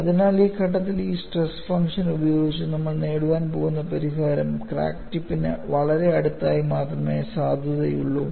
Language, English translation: Malayalam, So, at this stage, whatever the solution we are going to get with this, stress function would be valid only very close to the crack tip